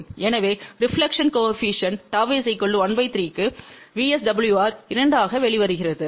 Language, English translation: Tamil, So, for reflection coefficient 1 by 3, VSWR comes out to be 2